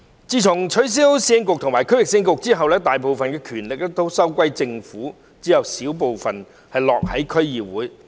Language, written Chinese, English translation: Cantonese, 自從取消市政局和區域市政局後，大部分權力收歸政府，只有小部分落到區議會。, Since the scrapping of the Urban Council and Regional Council most of their power was given to the Government with a small portion of it given to District Councils